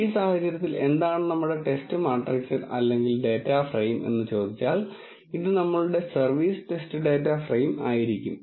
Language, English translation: Malayalam, In this case, what will be our test matrix or a data frame this will be our service test data frame